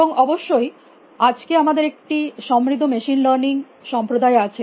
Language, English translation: Bengali, And of course, we have a thriving machine learning community